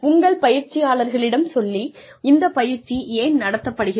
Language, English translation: Tamil, Tell your trainees, why the training is being conducted